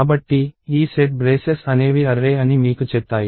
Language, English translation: Telugu, So, this set of set braces tell you that, you want an array